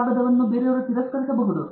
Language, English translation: Kannada, The paper may get rejected